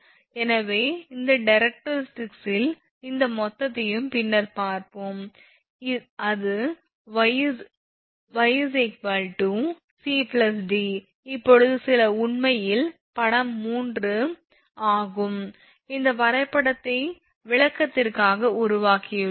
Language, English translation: Tamil, So, we will see later this thing and total from this directrix that total is y, and y is equal to c plus d now this is actually a figure 3, just for the purpose of explanation we have made this diagram